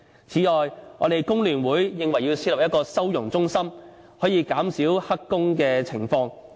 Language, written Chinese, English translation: Cantonese, 此外，工聯會認為要設立一個收容中心，從而減少他們從事黑工的情況。, In addition FTU considers that we should set up a holding centre for them with a view to reduce the chance for them to engage in illegal employments